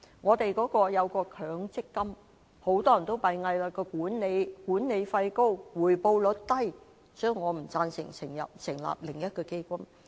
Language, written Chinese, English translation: Cantonese, 至於強制性公積金，很多人都擔心其管理費高，而且回報率低，所以我不贊成成立另一個基金。, Given that the Mandatory Provident Fund schemes have aroused many worries about their high management fees and low return rates I do not support setting up another fund